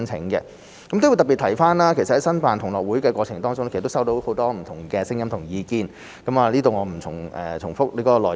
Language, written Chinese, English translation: Cantonese, 我亦要特別提及，其實在申辦同樂運動會的過程當中，我們收到很多不同的聲音及意見，我在這裏不重複內容。, I also want to mention in particular that we have received many different views and opinions during the application process of GG2022 . I shall not repeat them here